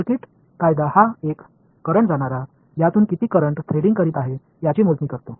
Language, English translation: Marathi, Circuital law it was a current going I calculate how much current is threading through this